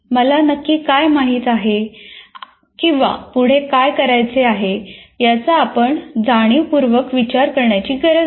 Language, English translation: Marathi, You don't have to consciously think of what exactly do I do now, what is the next step